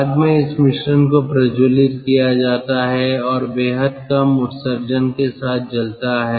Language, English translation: Hindi, afterwards, this mixture is ignited and burns with extremely low emissions